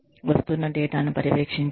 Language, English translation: Telugu, Monitor the data, that is coming in